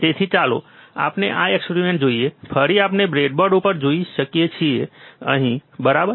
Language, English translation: Gujarati, So, let us see this experiment so, again we can see on the breadboard which is right over here, right